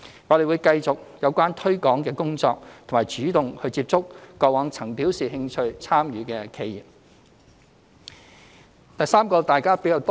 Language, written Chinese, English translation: Cantonese, 我們會繼續推廣工作，並主動接觸過往曾表示有興趣參與的企業。, We will continue with our promotion efforts and reach out to enterprises that have previously expressed interest in participating in the Scheme